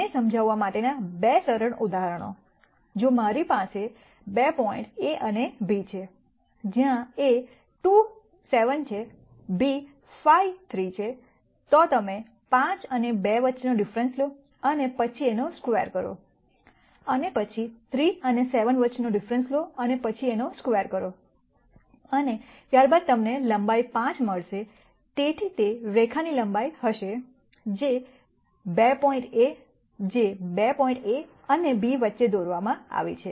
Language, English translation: Gujarati, Two simple examples to illustrate this, if I have 2 points A and B where A is 2 7 b is 5 3 then, the distances you take the difference between 5 and 2 and then square it and then, take the difference between 3 and 7 and then square it and then you will get your length as 5